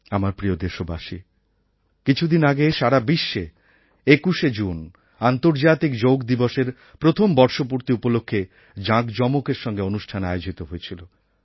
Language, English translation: Bengali, My dear Countrymen, a few days ago on 21st June, the whole world organised grand shows in observance of the anniversary of the International Day for Yoga